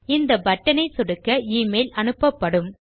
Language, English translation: Tamil, And when we click this button, the email will send